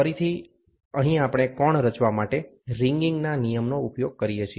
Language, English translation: Gujarati, Again, here we use the concept of ringing to form the angle